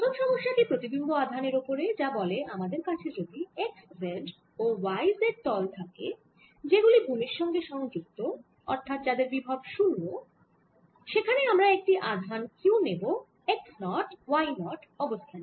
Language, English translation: Bengali, a first problem of the assignment is on the image charge and it says if we have the x, z and y z plane which are grounded, that means there are potential zero and we take a charge at the position charge q at the position x, naught, y, naught